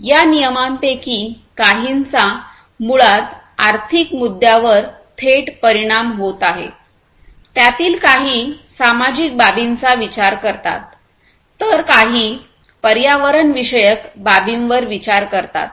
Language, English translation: Marathi, Some of these regulations are basically having direct impact on the economic issues, some of them have considerations of the social issues, and some the environmental issues